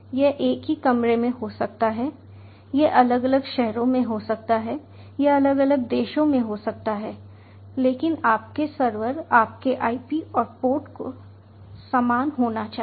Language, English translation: Hindi, it may be in the same room, it will be in different cities, it may be in different countries, but your server, your ip and port needs to be the same